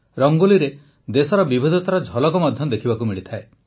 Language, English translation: Odia, The diversity of our country is visible in Rangoli